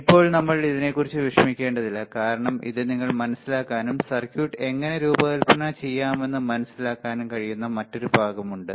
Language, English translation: Malayalam, Now, we do not worry about it because that is another part where you can understand and learn how to design the circuit